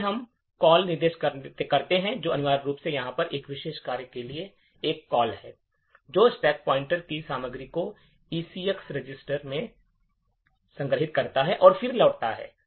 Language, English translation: Hindi, So, first we see the call instruction which are essentially is a call to this particular function over here which stores the contents of the stack pointer into the ECX register and then returns